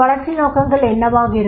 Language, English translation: Tamil, What will be the development purposes